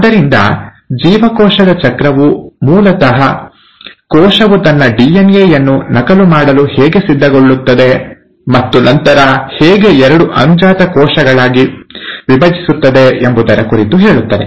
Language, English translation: Kannada, So cell cycle basically talks about how a cell prepares itself to duplicate its DNA and then, to divide into two daughter cells